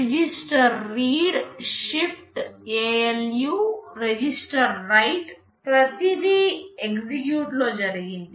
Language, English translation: Telugu, The register read, shift, ALU, register write everything was done in execute